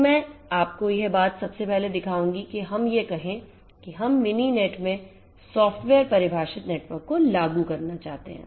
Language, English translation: Hindi, So, let me just show you this thing first that let us say that we want to implement the software defined networks in Mininet